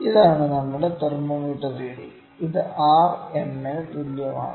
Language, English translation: Malayalam, This is our thermometer reading which is equal to R m this is equal to delta r